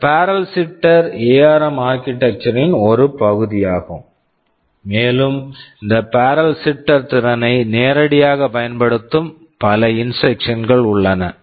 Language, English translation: Tamil, TSo, this barrel shifter is part of the ARM architecture and there are many instructions which directly utilize this barrel shifting capability